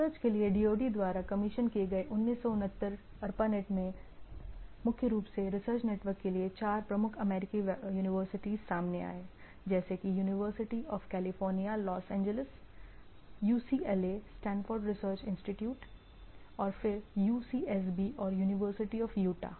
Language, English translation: Hindi, In 69 ARPANET commissioned by DoD for research, primarily what does research network where four major US university came into picture, like University of California at Los Angeles like UCLA that is Stanford Research Institute and then UCSB and University of Utah